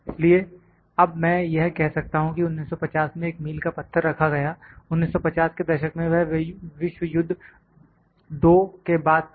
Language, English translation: Hindi, So, then I can say set a milestone was in 1950; 1950s, it was after the II world war